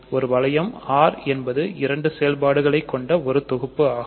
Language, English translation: Tamil, A ring R is a set with two operations